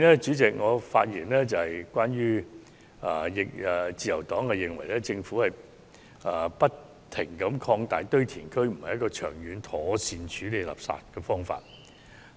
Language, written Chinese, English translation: Cantonese, 至於環境方面，自由黨認為政府不停擴大堆填區，並非長遠妥善處理垃圾問題的方法。, As far as environmental issues are concerned the Liberal Party does not consider the continuous expansion of landfills the proper way to address the waste problem in the long run